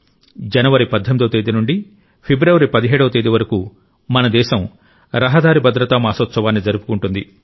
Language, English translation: Telugu, This very month, from the 18th of January to the 17th of February, our country is observing Road Safety month